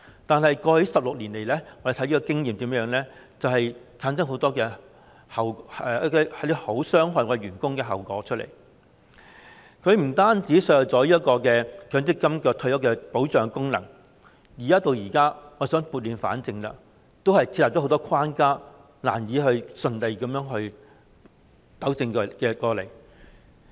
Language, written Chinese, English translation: Cantonese, 但是，過去16年來，根據我們的經驗，這安排產生了很多傷害僱員的後果，不僅削弱了強積金的退休保障功能，而且設下了很多關卡，即使我們現在想撥亂反正，也難以順利把問題糾正過來。, However according to our experience over the past 16 years this arrangement has resulted in many harmful consequences for employees . It has not only weakened the function of the MPF for retirement protection but also set up many obstacles . Even if we wanted to right the wrong now it is difficult to solve the problem smoothly